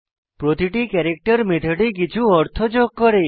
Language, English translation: Bengali, = Each of the characters add some meaning to the method